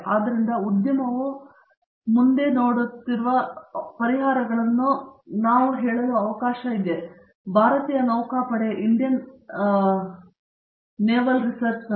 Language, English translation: Kannada, So, these are solutions which the industry looks forward to, I could add let us say for the example; Indian navy too